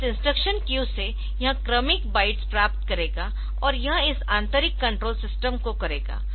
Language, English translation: Hindi, So, from this instruction queue, it will get the successive bytes, and it will go do this internal control system